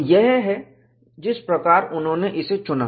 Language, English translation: Hindi, That is how they have chosen